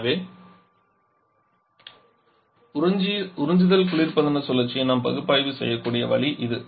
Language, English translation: Tamil, So this is the way we can analyse and absorption refrigeration cycle